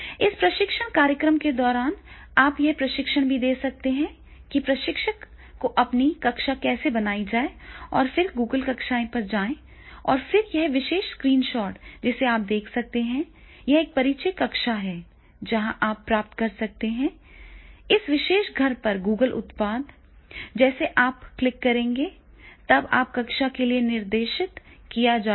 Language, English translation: Hindi, ) During this training program also you can give this training that is the how to create your own class to the trainer and then the click go on to the Google classroom and then this particular screenshot that will talk, so therefore it will be the introducing classroom, you are supposed to introduce the classroom and get the Google products on this particular home and the products you will click as soon as you will click and then you will go to the classroom